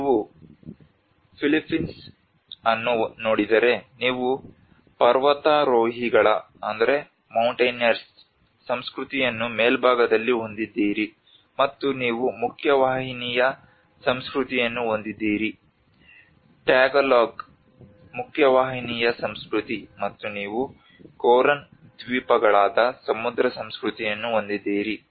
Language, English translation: Kannada, Like if you see the Philippines, you have the mountaineers culture on the top, and you have the mainstream culture The Tagalog mainstream culture, and you have the sea culture which is the Coran islands